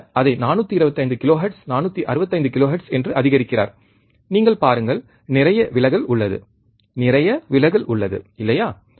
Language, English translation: Tamil, See he is increasing it 425 kilohertz, 465 kilohertz, you see, there is lot of distortion, lot of distortion, right